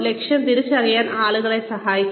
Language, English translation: Malayalam, Assisting people in goal identification